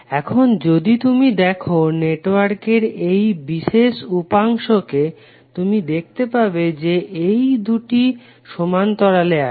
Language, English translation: Bengali, Now, if you see this particular subsection of the network, you can see that these 2 are in parallel